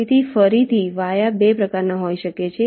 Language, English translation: Gujarati, ok, so via again can be of two types